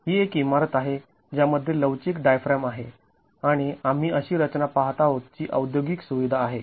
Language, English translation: Marathi, This is a building with a flexible diaphragm and we are looking at a structure that is an industrial facility